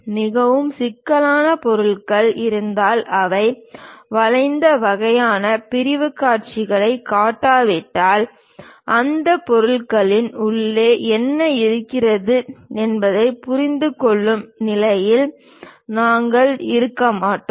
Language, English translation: Tamil, Very complicated objects if they are present; unless we show that bent kind of sectional views we will not be in a position to understand what is there inside of that material